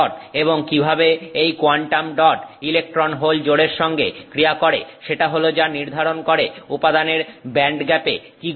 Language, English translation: Bengali, And how this quantum dot interacts with this electron hole pair is what decides what is going to happen with the band gap of the material